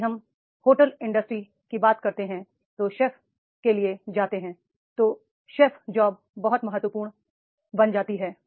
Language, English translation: Hindi, If we go for the hotel industries, the chef, the chef job becomes very very important the job